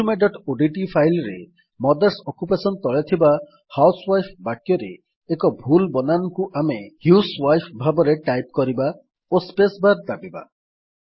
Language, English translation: Odia, In our resume.odt file under Mothers Occupation, we shall type a wrong spelling for housewife in the sentence, as husewife and press the spacebar